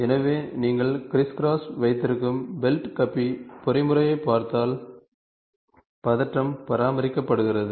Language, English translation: Tamil, so, if you look at belt pulley mechanism you have crisscross, were the tension is maintained